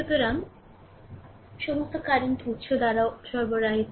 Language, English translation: Bengali, So, all the power supplied by the current source only right